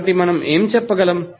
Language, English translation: Telugu, So, what we can say